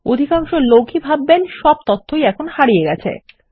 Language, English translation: Bengali, Most people would think all that data has been lost now